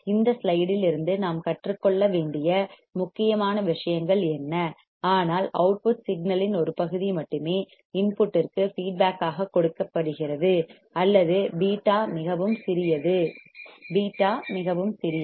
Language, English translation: Tamil, What important things that we had to learn from this slide, but only a part of output signal is fed feedback to the input or beta is extremely small, beta is extremely small